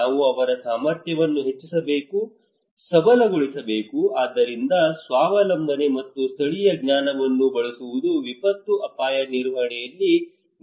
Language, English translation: Kannada, We need to enhance, empower their capacity so self reliance and using a local knowledge are critical component in disaster risk management